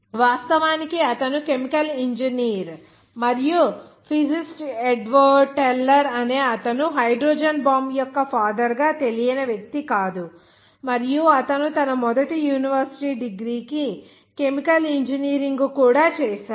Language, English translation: Telugu, He was, in fact, chemical engineer by education at all levels and a physicist Edward teller he is no one of the unknown persons as the father of hydrogen bomb and he also started chemical engineering for his first university degree